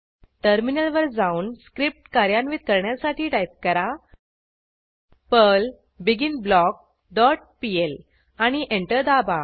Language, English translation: Marathi, Then switch to terminal and execute the script by typing, perl endBlock dot pl and press Enter